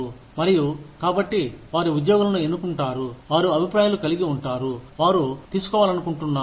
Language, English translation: Telugu, And, so they select the employees, who is in opinions, they want to take